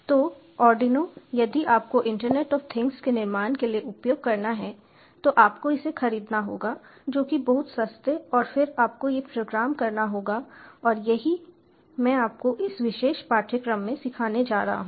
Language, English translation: Hindi, so arduino, if you have to use for the building of internet of things, you have to, you have to by this, which are very cheap, and then you have to program these, and this is what i am going to teach you in this particular course